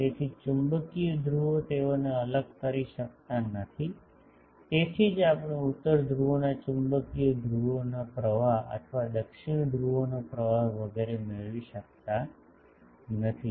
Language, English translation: Gujarati, So, magnetic poles they cannot be separated, that is why we cannot have a flow of magnetic poles flow of north poles or flow of south poles etc